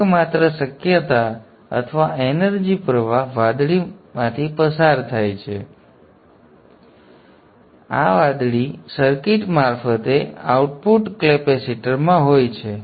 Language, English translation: Gujarati, So therefore, the only possibility of energy flow is through the blue and through this blue circuit into the output capacitors and are not